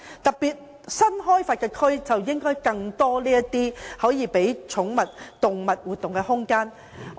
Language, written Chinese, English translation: Cantonese, 特別是新開發區，應該有更多可供寵物或動物活動的空間。, In particular there should be more activity space for pets or animals in new development areas